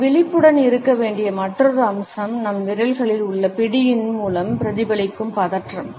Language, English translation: Tamil, Another aspect we have to be aware of is the tension which is reflected through the grip in our fingers